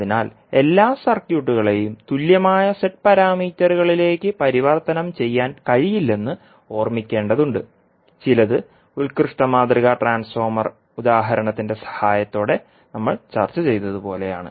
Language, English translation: Malayalam, So, we have to keep in mind that not all circuits can be converted into the equivalent Z parameters to a few of them are like we discussed with the help of ideal transformer example